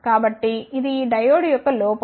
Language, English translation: Telugu, So, this is the drawback of this diode